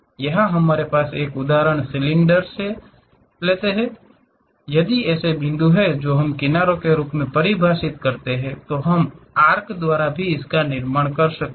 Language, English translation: Hindi, Here we have such an example cylinder, if these are the points what we are defining as edges; then we can construct by arcs also